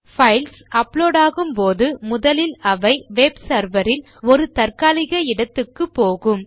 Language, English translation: Tamil, When the files are uploaded initially they go into a temporary area on the web server and NOT into this folder